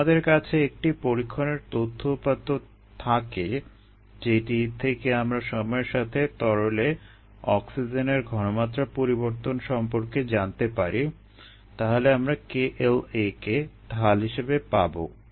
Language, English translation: Bengali, and if we have data from an experiment that gives us the variation of the concentration of oxygen and the liquid verses time, we will get k l a as the slope